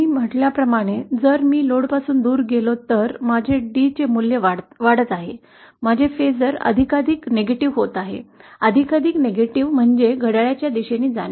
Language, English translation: Marathi, As I said, if I move away from the load, then my D value is increasing, my phasor becomes more and more negative, more and more negative means clockwise traversing